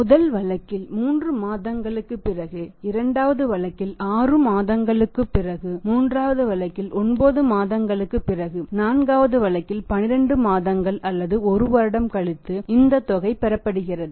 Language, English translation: Tamil, In the first case after 3 months in the second case after 6 months in the third case after 9 months and in the fourth case after 12 months or one year this amount is not going to received today